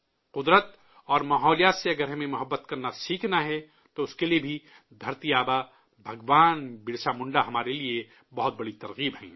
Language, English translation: Urdu, If we have to learn to love nature and the environment, then for that too, Dharati Aaba Bhagwan Birsa Munda is one of our greatest inspirations